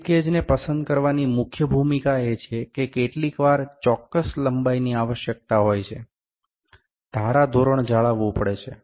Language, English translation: Gujarati, The major role of picking slip gauges is that sometimes the requirement at a specific length requirement is there, the standard has to be maintained